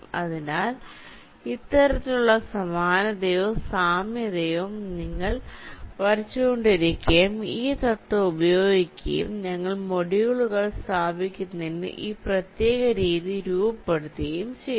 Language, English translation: Malayalam, so this kind of similarity or analogy you were drawing and using this principle we are faming, or formulating this particular method for placing the modules